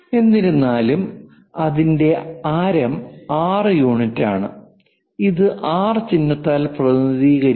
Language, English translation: Malayalam, However, we have a radius of 6 units and its radius because of this R symbol